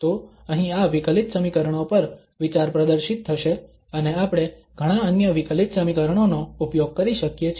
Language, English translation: Gujarati, So on these differential equations here the idea will be demonstrated and we can use many other differential equations